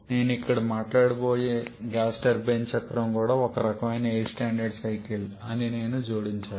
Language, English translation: Telugu, And I also have to add to that the gas turbine cycle that I am going to talk about here that can use also one kind of air standard cycles